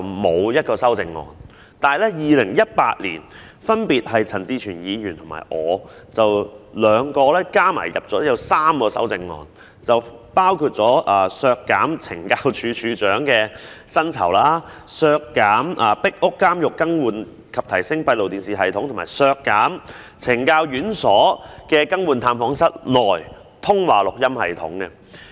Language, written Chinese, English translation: Cantonese, 可是，在2018年，陳志全議員和我分別提出了3項修正案，包括要求削減懲教署署長的薪酬、削減壁屋監獄更換及提升閉路電視系統的撥款，以及削減懲教院所更換探訪室內的通話錄音系統的撥款。, Yet in 2018 Mr CHAN Chi - chuen and I proposed three amendments including the request for cutting the salary of the Commissioner of Correctional Services the one for cutting the funding for the replacement and enhancement of the closed - circuit television CCTV system in Pik Uk Prison and the one for cutting the funding for the replacement of intercom recording systems in visit rooms in correctional institutions